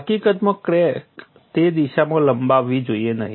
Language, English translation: Gujarati, In fact, crack should not extend in a direction